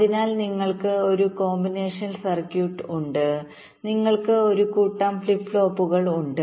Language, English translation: Malayalam, so you have a combinational circuit, you have a set of flip flops, so i am showing them separately